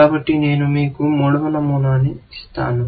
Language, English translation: Telugu, So, let me just give you a third rule